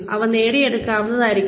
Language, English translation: Malayalam, They should be achievable